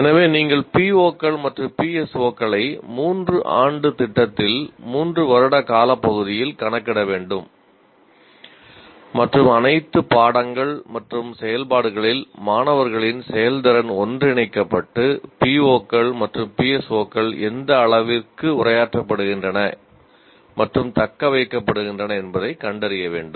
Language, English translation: Tamil, So you have to compute the POs and PSOs over a period of three years in the sense, three year program and the students performance in all courses and activities should be integrated together to find out to what extent the POs and PSOs are addressed and attained